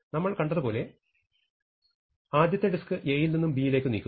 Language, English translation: Malayalam, So, at this moment you want to move n disks from A to B